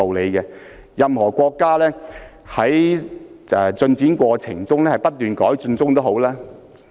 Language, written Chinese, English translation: Cantonese, 然而，任何國家在發展的過程中也要不斷改進。, However a country needs to make continuous improvements in the process of development